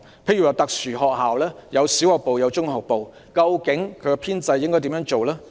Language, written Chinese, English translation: Cantonese, 例如特殊學校設有小學部和中學部，究竟應如何處理其編制？, For example how do we tackle the teaching staff establishment of special schools with combined levels?